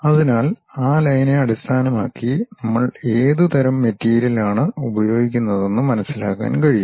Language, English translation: Malayalam, So, based on those line representation we will be in a position to understand what type of material we are using